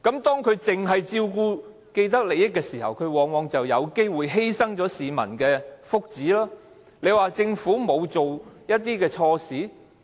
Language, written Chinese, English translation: Cantonese, 當它只是照顧既得利益者時，往往便會有機會犧牲掉市民的福祉，她說政府沒有做錯事嗎？, And as it concentrates solely on looking after such people it is often likely to forgo the well - being of the people . Is she right in saying that the Government has not done anything wrong?